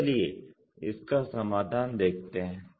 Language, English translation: Hindi, So, let us look at the solution